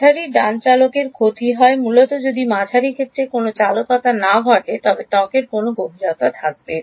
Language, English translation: Bengali, The loss in the medium right conductivity basically if there was no conductivity in the medium what would happen would there be any skin depth